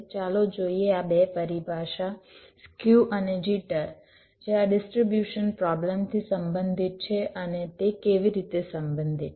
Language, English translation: Gujarati, lets see this two terminology, skew and jitter, which are related to this distribution problem